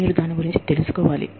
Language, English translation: Telugu, You have to, know about it